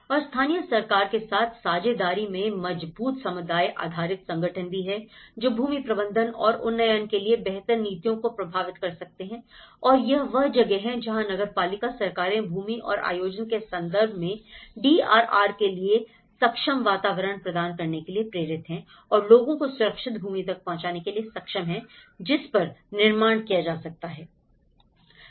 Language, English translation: Hindi, And there is also strong community based organizations in partnership with local government which can influence the better policies for land management and upgrading and this is where the municipal governments can do to provide an enabling environment for DRR in terms of land and planning, is to enable people to have access to safe land on which to build